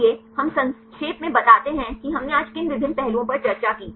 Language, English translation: Hindi, So, we summarize what are the various aspect we discussed today